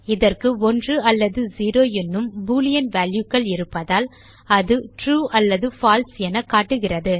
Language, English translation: Tamil, Since this holds Boolean values 1 or 0, it displays True or False